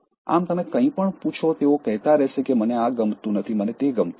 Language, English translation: Gujarati, Now you ask anything they will keep on saying I don’t like this, I don’t like this